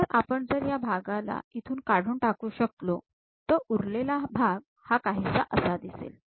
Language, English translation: Marathi, So, if we can remove this part, the left over part perhaps looks like that